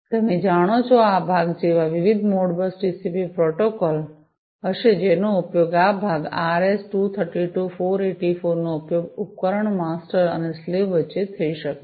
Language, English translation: Gujarati, You know so, different like you know this part would be Modbus TCP protocol, which will be used this part would be the RS 232 484 could be used between the device master and the slave